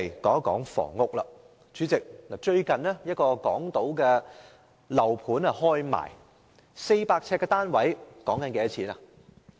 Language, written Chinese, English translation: Cantonese, 主席，最近有一個港島區的樓盤開賣，一個400平方呎的單位索價 1,000 萬元。, President a residential development on the Hong Kong Island was offered for sale recently . A unit of 400 sq ft is priced at 10 million